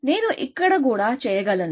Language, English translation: Telugu, I can do it here as well